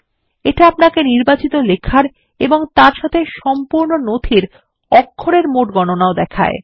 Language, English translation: Bengali, It also shows the total count of characters in your entire document as well as in the selected text